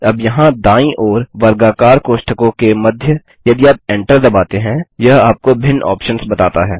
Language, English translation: Hindi, Now right here between the square brackets, if you press Enter it tells you the different options